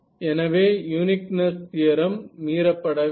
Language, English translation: Tamil, So, uniqueness theorem does not get violated